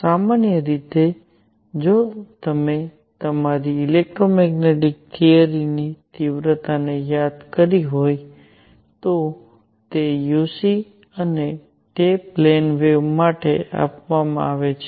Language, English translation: Gujarati, Usually, if you have recalled your electromagnetic theory intensity uc and that is given for a plane wave